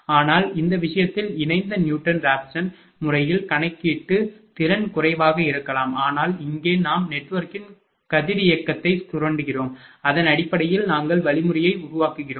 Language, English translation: Tamil, But, in that case computation will efficiency may be less in couple Newton Raphson method, but here we are exploiting the radiality of the network and based on that, we are developing the algorithm